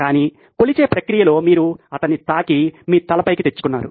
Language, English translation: Telugu, But in the process of measuring you touched him and off went your head